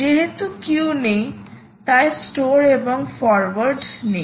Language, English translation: Bengali, so because there are no queues, store and forward is not there